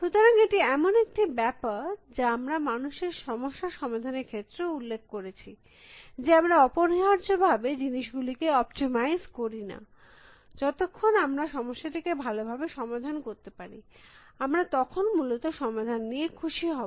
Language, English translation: Bengali, So, this is something that we had also mentioned about human problem solving, that we do not necessarily always try to optimize things, as long as we can solve the problem reasonably well, then we are happy with the solution essentially, which is where the knowledge base techniques are so important essentially